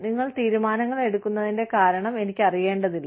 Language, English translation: Malayalam, I do not need to know, the reason for you, to be making your decisions